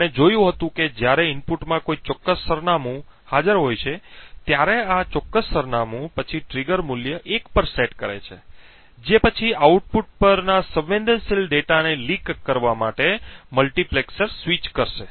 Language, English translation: Gujarati, Now we have seen examples of this in the previous videos we had seen how when a specific address is present in the input this specific address would then set a trigger value to 1 which would then switch a multiplexer to leak sensitive data to the output